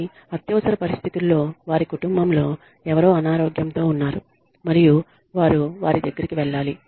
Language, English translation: Telugu, But, in terms of emergency, somebody is sick in their family, and they have to attend to them